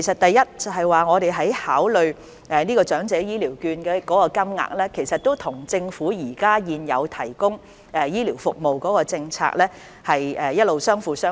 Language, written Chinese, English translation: Cantonese, 第一，我們就長者醫療券金額所作的考慮，其實一直與政府現行的醫療服務政策相輔相成。, Firstly when considering the value of elderly health care vouchers we have always complemented with the Governments existing health care policies